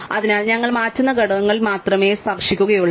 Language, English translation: Malayalam, So, we only touch the components we change